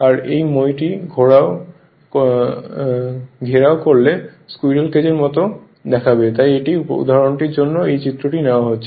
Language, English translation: Bengali, And if you enclose this ladder it will look like a squirrel cage that is why these example is this diagram is taken